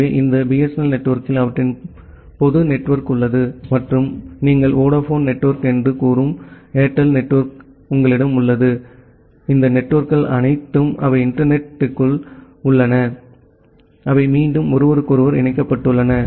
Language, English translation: Tamil, So, this BSNL network has their public network and the corporate network you have the Airtel network you have say Vodafone network; all these networks they are inside internet they are again connected with each other